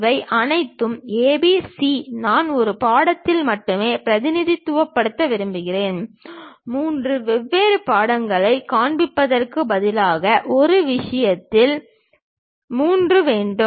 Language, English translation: Tamil, All these A, B, C I would like to represent only on one picture; instead of showing it three different pictures, we would like to have three on one thing